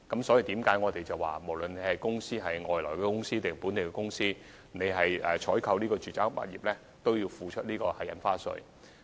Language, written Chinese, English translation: Cantonese, 正因如此，無論是外地公司或本地公司，凡購買住宅物業均須繳付印花稅。, That is why both non - local and local companies are subject to the payment of extra stamp duties in residential property transactions